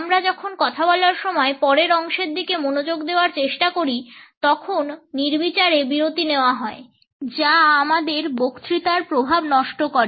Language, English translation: Bengali, When we are trying to focus on what next to speak are the arbitrary pauses which is spoil the impact of our speech